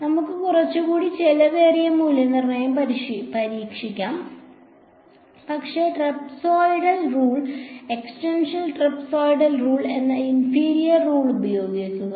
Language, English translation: Malayalam, Let us try a little bit more expensive evaluation, but using a inferior rule which is the trapezoidal rule, the extended trapezoidal rule